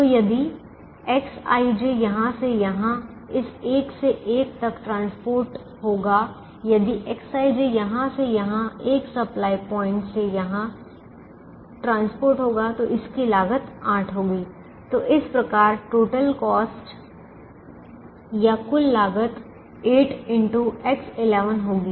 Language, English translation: Hindi, so if x i, j is transported from this one to one, if x i, j is transported from this one supply point to this, each unit transportation is going to cost as eight